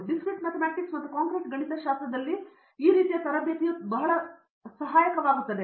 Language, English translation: Kannada, These types of training in Discrete Mathematics and Concrete Mathematics would be very helpful